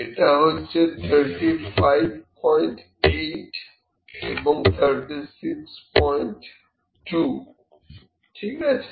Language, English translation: Bengali, So, it is 35 and 36, 35